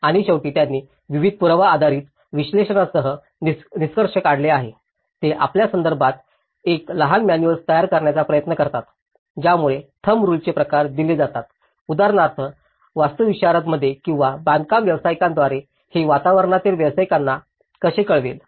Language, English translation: Marathi, And finally, they have concluded with various evidence based analysis, they try to develop a small manual about to you know, which gives the kind of thumb rules for example, how it will inform the built environment professionals for instance, in architects or a civil engineer who is constructing the housing